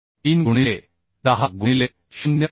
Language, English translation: Marathi, 3 by 10 into 0